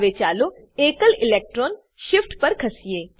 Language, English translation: Gujarati, Now lets move to single electron shift